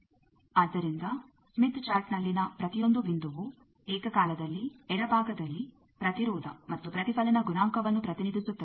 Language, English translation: Kannada, So, each point on smith chart simultaneously represents impedance the left side as well as a reflection coefficient